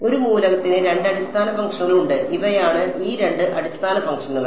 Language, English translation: Malayalam, There are two basis functions for an element and these are those two basis functions